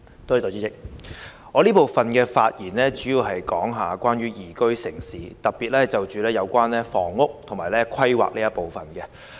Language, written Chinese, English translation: Cantonese, 代理主席，我這部分發言主要關於宜居城市，並會針對房屋及規劃事宜發言。, Deputy President I will mainly speak on the issue of liveable city in this session with my focus being housing and planning matters